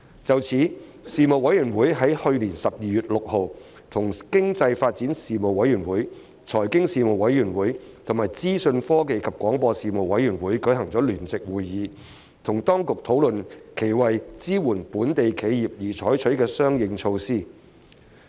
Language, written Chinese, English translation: Cantonese, 就此，事務委員會於去年12月6日與經濟發展事務委員會、財經事務委員會和資訊科技及廣播事務委員會舉行聯席會議，與當局討論其為支援本地企業而採取的相應措施。, In this regard the Panel held a joint meeting on 6 December 2019 with the Panel on Economic Development Panel on Financial Affairs and Panel on Information Technology and Broadcasting to discuss with the authorities the corresponding measures taken to support local enterprises